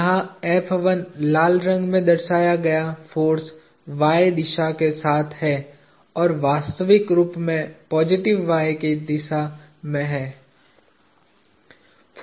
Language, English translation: Hindi, The force F1 indicated in red here is along the y direction, positive y direction as a matter of fact